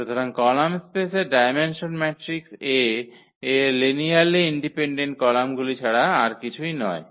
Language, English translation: Bengali, So, the dimension of the column space is nothing but the its a number of linearly independent columns in the in the matrix A